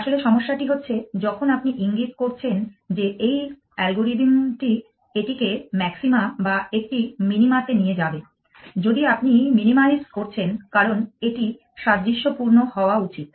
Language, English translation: Bengali, So, precisely the problem that you have pointing out that this algorithm will take it to maxima or a minima if you are minimizing because it should be analogous